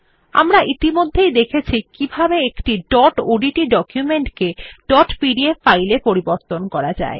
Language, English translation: Bengali, We have already seen how to convert a dot odt document to a dot pdf file